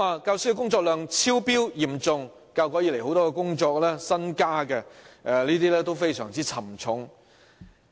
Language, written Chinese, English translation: Cantonese, 教師工作量嚴重超標，教育改革以來很多新增的工作都非常沉重。, Teachers are seriously overloaded with work; the many new initiatives introduced since the education reform have put a very heavy burden on them